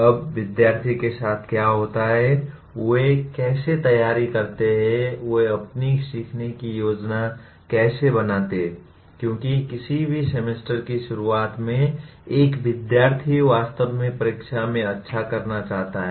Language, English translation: Hindi, Now what happens students how do they prepare, how do they plan their learning because at the beginning of any semester, a student really wants to do well in the examination